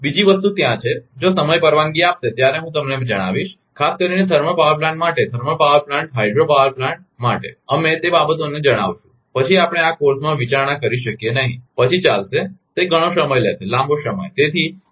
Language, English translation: Gujarati, Another thing is there, if time permits I will tell you, tell you those things that generally, particularly for thermal power plant, thermal power plant hydro power plant, we cannot consider in this course, then it will it will it will take long time